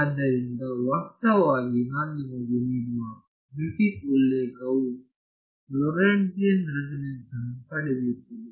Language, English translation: Kannada, So, in fact, the Griffiths reference which I give you derives a Lorentzian resonance